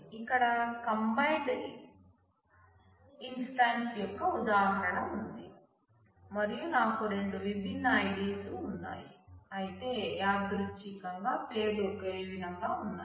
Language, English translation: Telugu, So, here is an example of the combined instance and I have two different ids, but incidentally the names are same